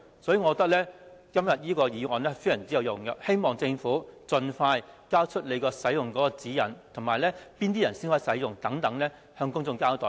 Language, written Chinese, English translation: Cantonese, 所以，今天的議案非常有用，希望政府盡快發出使用指引，表明哪些人才能使用，並要接受公眾監察。, Thus todays motion is very useful . We hope that the Government will issue utilization guidelines as soon as possible to specify who can use water cannons which are subject to public monitoring